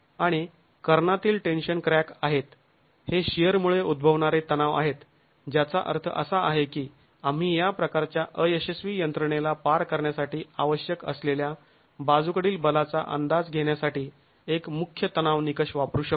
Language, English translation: Marathi, And these are diagonal tension cracks, they are due to shear tension, which means we can actually use a principal tension criterion to estimate the lateral force required to cost this sort of a failure mechanism